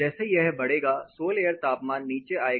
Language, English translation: Hindi, So, as this going to increase sol air temperature is going to come down